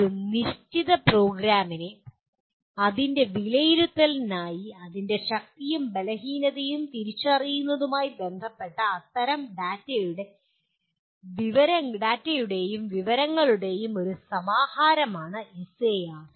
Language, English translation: Malayalam, SAR is a compilation of such data and information pertaining to a given program for its assessment identifying its strengths and weaknesses